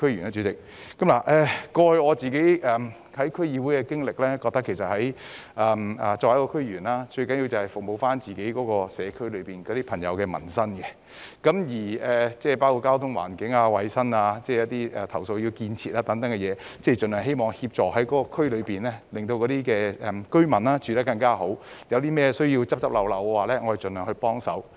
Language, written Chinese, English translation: Cantonese, 根據過去在區議會的經歷，我覺得作為區議員，最重要的是服務所屬社區內的朋友的民生問題，包括交通、環境、衞生、投訴、建設等方面，盡量希望協助區內居民有更好的生活；如有甚麼需要"執漏"，我們亦會盡量幫忙。, According to my experience in DC I think it is most important for a DC member to serve the residents in the district by addressing their livelihood issues in aspects including transport environment hygiene complaints development in the hope of improving the living of the residents in the district . If there is a need to rectify defects we will also render our help as far as possible